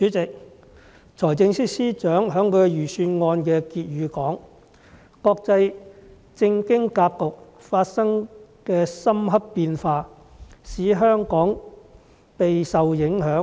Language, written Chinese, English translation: Cantonese, 主席，財政司司長在財政預算案的結語說，"國際政經格局發生的深刻變化，使香港備受影響。, President in the concluding remarks of the Budget the Financial Secretary stated that Hong Kong has been intensely affected by the profound changes in the international political and economic landscape